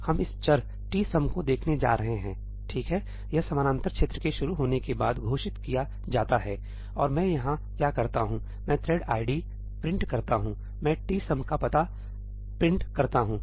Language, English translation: Hindi, So, we are going to look at this variable tsum, right, it is declared after the parallel region starts and what do I do here I print the thread id, I print the address of tsum